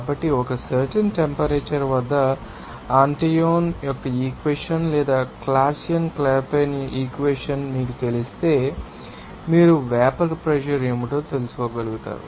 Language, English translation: Telugu, So, if you know that, you know Antoine’s equation or Clausius Clapeyron equation at a particular temperature, you will be able to find out what the vapour pressure